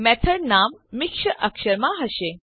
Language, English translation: Gujarati, The method name should be the mixed case